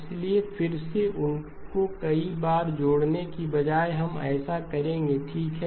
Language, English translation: Hindi, So again rather than keeping adding those multiple times, we will do that okay